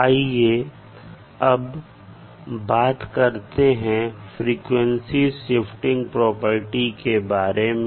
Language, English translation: Hindi, Now let’s talk about the frequency differentiation